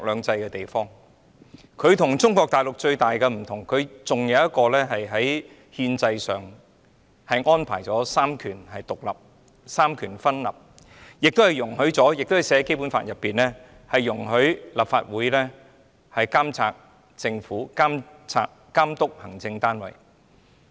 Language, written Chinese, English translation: Cantonese, 香港與中國大陸最大的分別，在於香港在憲制上仍是三權獨立、三權分立，而《基本法》亦訂明，立法會可監察政府和監督行政單位。, The greatest difference between Hong Kong and the Mainland China is that Hong Kong is still adopting independence of the three powers and the separation of powers . Moreover it is stipulated in the Basic Law that the Legislative Council will monitor the Government and the executive